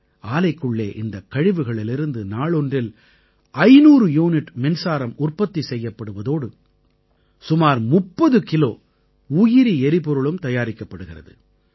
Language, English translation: Tamil, In this plant 500units of electricity is generated every day, and about 30 Kilos of bio fuel too is generated